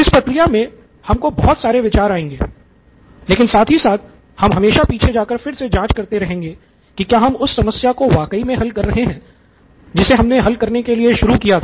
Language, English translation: Hindi, You come up with a lot of ideas which a but again always checking back whether you are solving the problem that you started out to solve